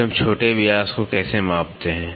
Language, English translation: Hindi, Then how do we measure the minor diameter